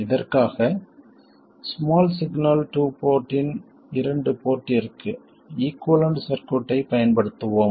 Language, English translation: Tamil, For this, we will use the circuit equivalent of the two port, of the small signal two port